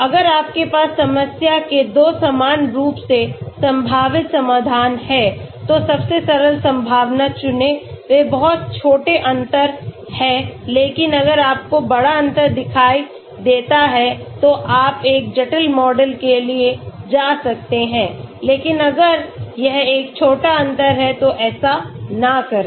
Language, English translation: Hindi, If you have 2 equally likely solutions to problem, pick the simplest likely they are very small difference but if you see big difference yes you may go for a complex model but if it is a small difference do not do that